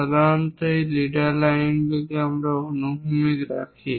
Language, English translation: Bengali, Usually, these leader lines we keep it horizontal, this is the way